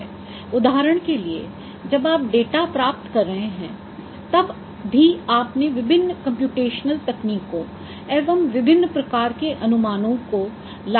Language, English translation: Hindi, For example, even when you are obtaining data you are applying different computational techniques, different kinds of estimation